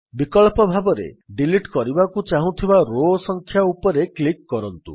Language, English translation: Odia, Alternately, click on the row number to be deleted